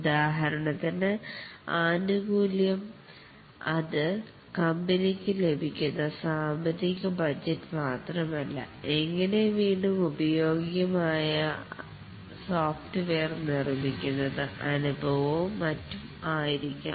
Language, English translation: Malayalam, For example, the benefit may not only be the financial budget that it provides the company gets, but also the experience it builds up the reusable software that it makes and so on